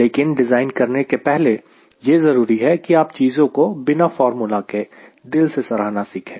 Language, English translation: Hindi, but before you design is important that you try to appreciate things without using a formula